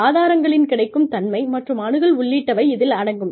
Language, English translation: Tamil, Including availability of and access to resources